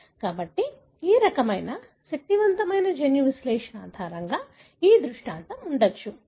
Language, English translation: Telugu, So, this is likely the scenario based on such kind of powerful genome analysis